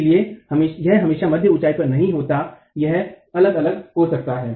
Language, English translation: Hindi, So it is not always going to be at middle, at the mid height